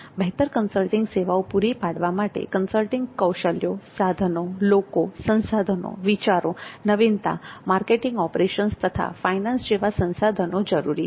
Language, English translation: Gujarati, So consulting skills and tools the people resources, ideas and innovation, marketing operations and finance